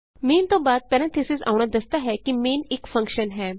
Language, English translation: Punjabi, Parenthesis followed by main tells the user that main is a function